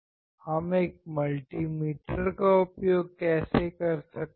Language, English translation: Hindi, How we can use multi meter